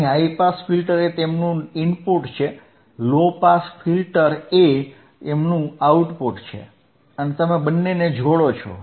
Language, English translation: Gujarati, hHigh pass filter is their input, low pass filter is their output and you connect both of themboth